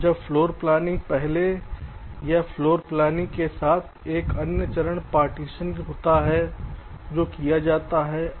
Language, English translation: Hindi, ok, fine, now before floorplanning, or along with floorplanning, there is another steps, call partitioning, which are carried out